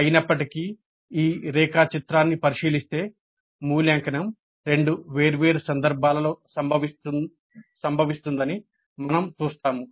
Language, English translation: Telugu, However, when we look into this diagram, we see that evaluate occurs in two different contexts